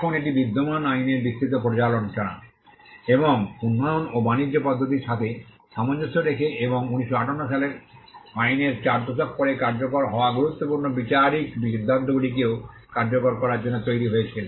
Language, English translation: Bengali, Now, this was based on a comprehensive review of the existing law, and in tune with the development and trade practices, and to give also effect to important judicial decisions which came in the 4 decades after the 1958 act